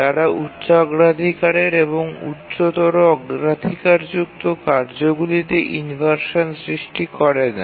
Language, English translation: Bengali, No, because these are of lower priority tasks and high priority tasks don't cause inversion to lower priority task